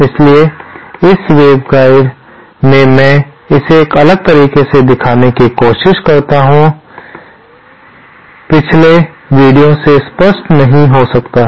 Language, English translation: Hindi, So, in this waveguide there are let me draw it in a different, might not be clear from the previous video